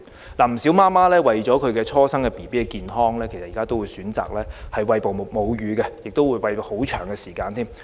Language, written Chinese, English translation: Cantonese, 現時，不少母親為了初生嬰兒的健康，都會選擇餵哺母乳，甚至餵哺至嬰兒較年長才停止。, At present many mothers have opted for breastfeeding their newborn babies for health reasons and they may even breastfeed their babies until they reach an older age